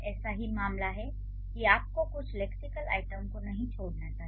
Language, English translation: Hindi, Similar is the case, you should not drop a few lexical items